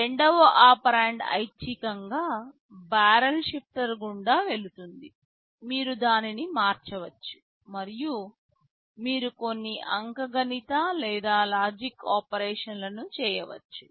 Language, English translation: Telugu, The second operand optionally goes through the barrel shifter, you can shift it and then you can do some arithmetic or logic operations